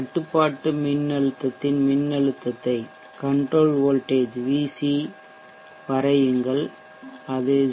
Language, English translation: Tamil, You can cross check plot the voltage of the control voltage it is at 0